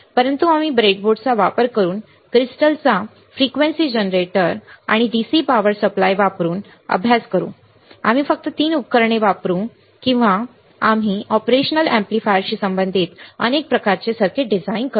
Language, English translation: Marathi, But we will also do the similar study using the breadboard using the oscilloscope, frequency generator and dc power supply, the only three equipments we will use and we will design several kind of circuits related to the operational amplifier all right